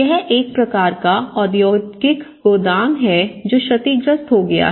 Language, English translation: Hindi, So, now this is a kind of industrial godown which has been damaged